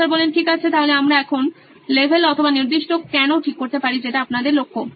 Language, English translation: Bengali, Okay, so now can you fix the level or the particular “why” which is your focus